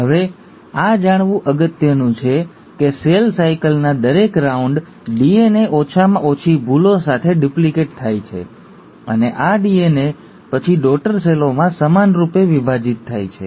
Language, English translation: Gujarati, Now this is important to know that every round of cell cycle, the DNA gets duplicated with minimal errors, and this DNA then gets equally divided into the daughter cells